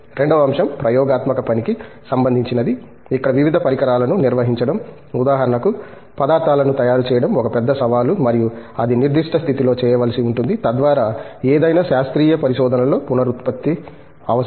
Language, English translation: Telugu, Second aspect is in the experimental work, where handling various equipment okay For example, making materials itself is a major challenge and that has to be made in certain condition so that, there is a reproducibility that is essential in any scientific research